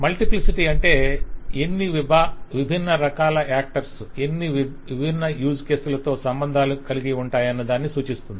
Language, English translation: Telugu, The multiplicity means that how many different actors can associate with how many different use cases